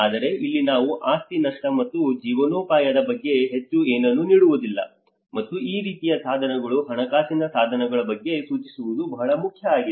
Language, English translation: Kannada, But here we hardly give anything much about the property losses and livelihoods, and this is very important that one who can even think on these kinds of instruments, financial instruments